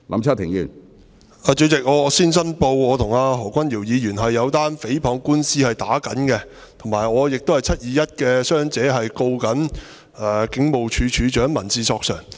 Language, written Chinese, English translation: Cantonese, 主席，我先申報我與何君堯議員正在打一宗誹謗官司，而且我亦是"七二一"事件中的傷者，正在控告警務處處長，提出民事索償。, President first of all I declare that I am currently engaged in a defamation lawsuit with Dr Junius HO . I am also a victim of the 21 July incident suing the Commissioner of Police in a civil claim